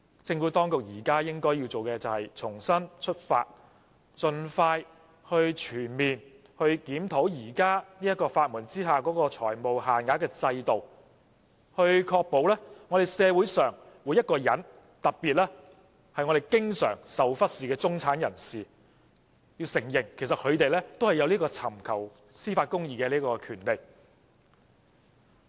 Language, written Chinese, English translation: Cantonese, 政府當局現時應重新出發，盡快全面檢討現時在法援下的財務限額制度，確保社會上每一個人，特別是經常被忽視的中產人士，可以享有尋求司法公義的權利。, It is time for the Administration to make a new start on this issue and conduct a comprehensive review of the FEL system under legal aid as soon as possible to ensure that everyone in the society and in particular members of the middle class who have often been neglected have the right to seek judicial justice